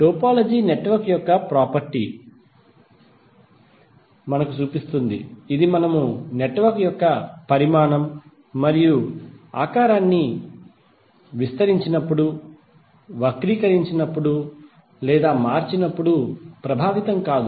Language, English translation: Telugu, Because the topology shows us the property of the network which is unaffected when we stretch, twist or distort the size and shape of the network